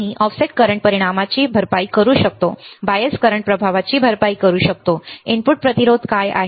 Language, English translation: Marathi, We can compensate the effect of offset current, may compensate the effect of bias current, what is input resistance